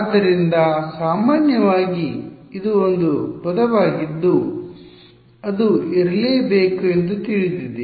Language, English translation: Kannada, So, typically this is a term which is known it has to be